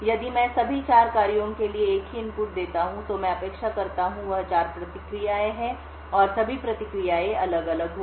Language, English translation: Hindi, If I give the same input to all of the 4 functions, what I would expect is 4 responses and all of the responses would be different